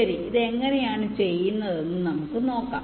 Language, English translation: Malayalam, well, lets see how it is done